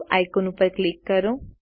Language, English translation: Gujarati, Click the Save icon